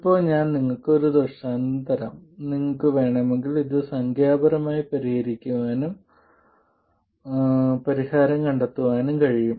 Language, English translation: Malayalam, Now, I will just give you an illustration if you want, you can solve for this numerically and find the solution